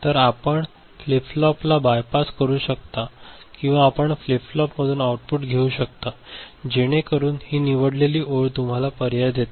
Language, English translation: Marathi, So, you can bypass the flip flop or you can take the output from the flip flop, so that is what this select line gives you, gives you with the option is it alright ok